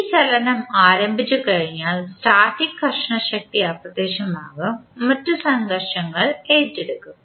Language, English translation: Malayalam, Once this motion begins, the static frictional force vanishes and other frictions will take over